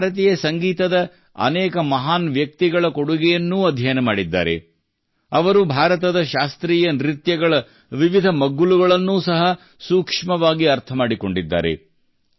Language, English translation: Kannada, He has studied the contribution of many great personalities of Indian music; he has also closely understood the different aspects of classical dances of India